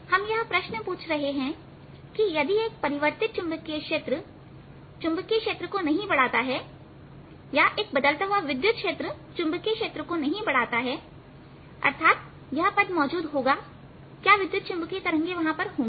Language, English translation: Hindi, the question we are asking is: if a changing magnetic field did not give rise to magnetic field, that means if or changing electric field did not give rise to a magnetic field, that means this term did not exists, would electromagnetic waves be there